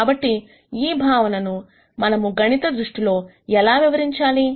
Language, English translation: Telugu, So, how do we explain these concepts mathematically